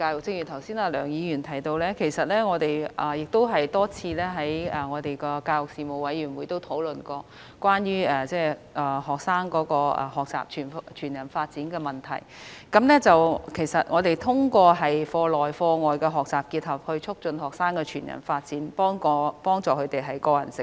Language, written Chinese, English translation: Cantonese, 正如梁議員剛才提及，我們已曾多次和教育事務委員會討論推動學生全人發展的問題，目的是透過課內及課外學習的結合，促進學生全人發展，協助他們的個人成長。, As mentioned by Dr LEUNG just now we have on a number of occasions discussed with the Panel on Education the issue of promoting whole - person development among students and by promoting the same through a combination of curricular and extra - curricular activities we seek to assist students in their personal growth